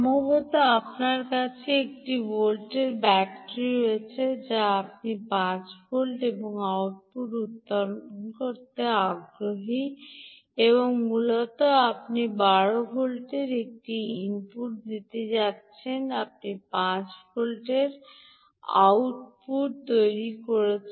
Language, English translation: Bengali, perhaps you have a one volt battery, you are interested in generating five volts and the output, and essentially you are going to give an input of twelve volts